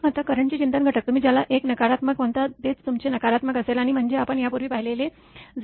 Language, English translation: Marathi, Now, reflection factor for the current, it will be just your what you call negative of this 1 negative; that means, it will be 0